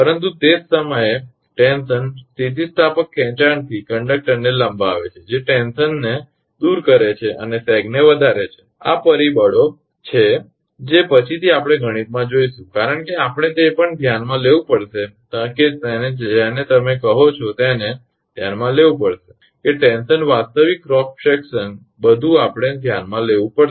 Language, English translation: Gujarati, But at the same time tension elongates the conductor from elastic stretching which leads to relieve tension and sag increases these are the factors later we will see mathematically because we have to consider also we have to consider your what you call that conductor tension actual cross section everything we have to consider